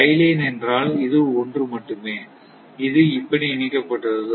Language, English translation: Tamil, Tie line means, only this one, only only it is connected like this